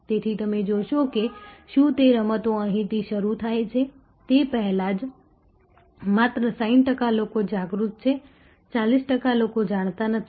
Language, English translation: Gujarati, So, you see if that games starts right here in the very first only 60 percent people are aware, 40 percent not aware